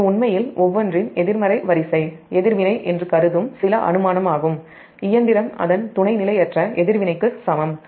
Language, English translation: Tamil, so this is actually some assumption that assume that the negative sequence reactance of each machine is equal to its sub transient reactance